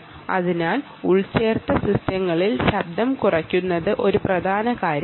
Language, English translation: Malayalam, so noise reduction in embedded systems is an important thing